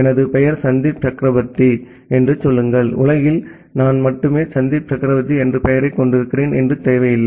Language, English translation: Tamil, Say my name is Sandip Chakraborty, it is not necessary that in world I am the only person who are having the name Sandip Chakraborty